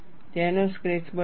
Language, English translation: Gujarati, Make a sketch of it